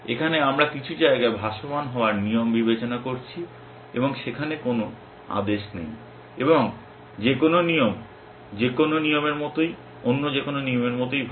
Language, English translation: Bengali, Here we are considering rules to be floating in some space and there is no order and any rule is as good as any other rule